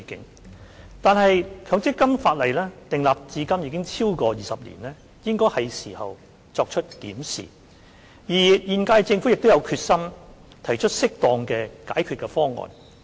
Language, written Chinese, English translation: Cantonese, 然而，強積金法例訂立至今已超過20年，應該是時候作出檢視，而現屆政府亦有決心提出適當的解決方案。, However as the legislation on MPF has been enacted for over 20 years it is high time for us to conduct a review and the current - term Government is also resolved to propose an appropriate solution